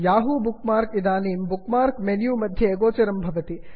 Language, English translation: Sanskrit, The Yahoo bookmark now appears on the Bookmark menu